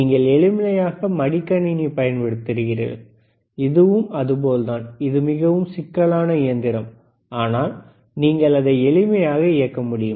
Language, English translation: Tamil, You can easily use laptop, this is how it is, it is extremely complicated machine, but what you are using you are just operating it